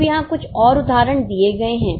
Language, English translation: Hindi, Now a few more examples are given here